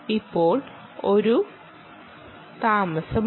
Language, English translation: Malayalam, there should be a time delay